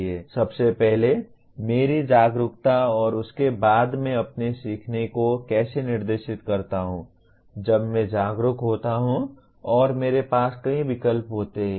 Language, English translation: Hindi, First thing my awareness and after that how do I direct my learning once I am aware of and I have several choices